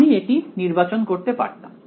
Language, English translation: Bengali, I could have chosen this